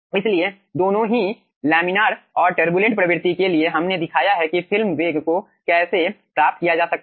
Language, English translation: Hindi, okay, so for both the regimes, laminar and turbulent, we have shown how film velocity can be obtained